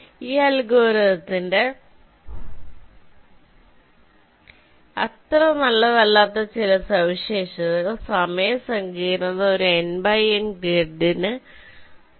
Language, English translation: Malayalam, some of the not so good ah features of this algorithm is that the time complexity is order n square for an n by n grid